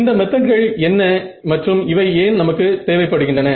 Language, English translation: Tamil, So, what are these methods and why do we need them